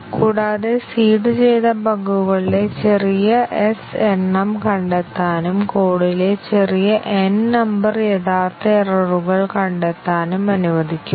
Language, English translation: Malayalam, And let, small s number of the seeded bugs get detected and small n number of original errors in the code be detected